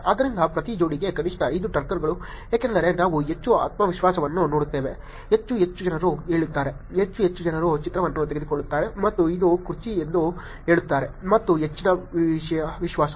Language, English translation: Kannada, So, at least 5 Turkers for each pair because then we'll see more confidence, more and more people say that, more and more people take a image and say that this is the chair and there is high confidence that is going to be a chair